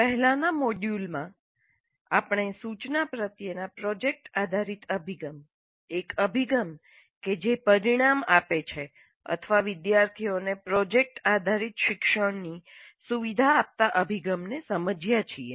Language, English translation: Gujarati, In the earlier module we understood project based approach to instruction, an approach that results in or an approach that facilitates project based learning by students